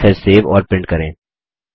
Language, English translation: Hindi, Save and print a message